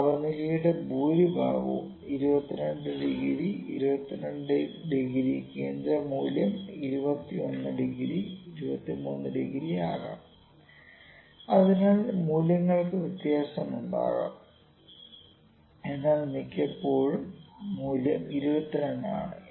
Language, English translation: Malayalam, The most of the temperature would be 22 degrees, 22 degrees central value it can be 21 degrees, 23 degrees so values can vary for but the most of times a value is 22